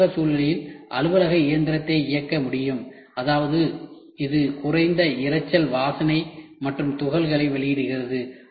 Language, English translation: Tamil, An office machine can be operated in an office environment; that means, it emits minimum noise smell and particles